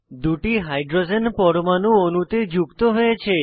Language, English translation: Bengali, Two hydrogen atoms are added to the molecule